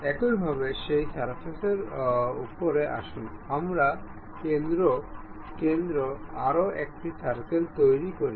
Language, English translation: Bengali, Similarly, on top of that surface, let us make another circle at center